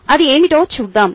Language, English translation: Telugu, lets look at what it is